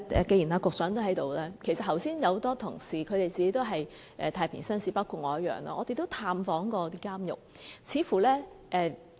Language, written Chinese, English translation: Cantonese, 既然局長也在席......其實有很多同事本身也是太平紳士，包括我自己，我們也曾探訪監獄。, As the Secretary is present now in fact many Members are justices of the peace too including myself . We did visit the prison too